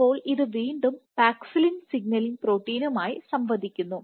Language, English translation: Malayalam, So, again it interacts with the signaling protein of paxillin